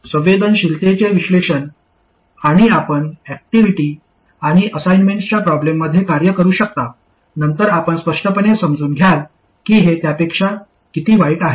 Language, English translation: Marathi, The analysis of sensitivity and so on, you can carry out an activity and assignment problems, then you will clearly understand why and by how much this is worse than that one